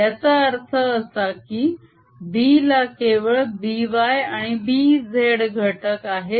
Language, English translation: Marathi, this also means that b has components b, y and b z only